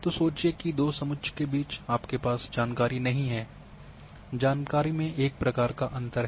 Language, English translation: Hindi, So, say think that between a two contours you do not have information there is a gap in the information